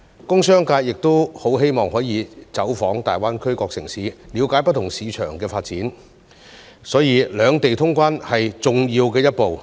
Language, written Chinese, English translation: Cantonese, 工商界亦很希望可以走訪大灣區各個城市，了解不同市場的發展，所以兩地通關是重要的一步。, The business sector also hopes to visit various cities in GBA to understand the development of different markets thus clearance of the two places is an important step